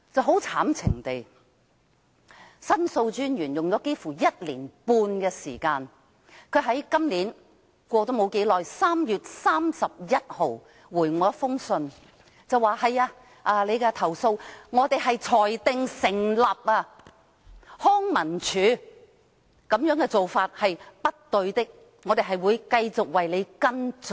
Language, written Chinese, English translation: Cantonese, 很可悲，申訴專員用了幾乎1年半的時間，在今年3月31日回覆我說我的投訴裁定成立，康文署這種做法是不對的，他們會繼續為我跟進。, Quite sadly it took The Ombudsman almost a year and a half before it replied to me on 31 March this year that my complaint was substantiated that the practice of LCSD was wrong and that they would continue to follow up the case for me